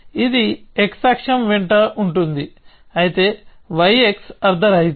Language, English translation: Telugu, So, this is along the x axis though y x is meaningless